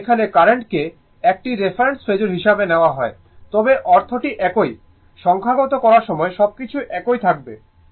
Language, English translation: Bengali, And here current is taken as a reference phasor, but meaning is same when you will do the numerical also everything will remain same, there will be no change, right